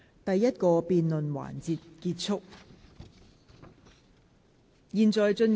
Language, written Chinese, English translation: Cantonese, 第一個辯論環節結束。, The first debate session ends